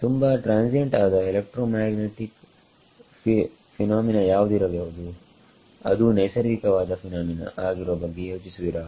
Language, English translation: Kannada, What is the most transient electromagnetic phenomena that you can think of natural phenomena